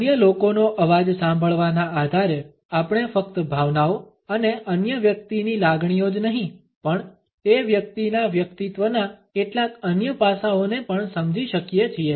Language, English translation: Gujarati, On the basis of listening to the other people’s voice, we can easily make out not only the emotions and feelings of the other person, we can also understand certain other aspects of that individual’s personality